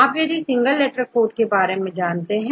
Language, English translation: Hindi, You are all familiar with the single letter code and 3 letter codes